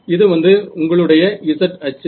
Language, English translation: Tamil, It will be symmetric about the z axis